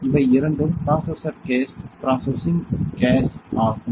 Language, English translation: Tamil, These two are the processor gas processing gas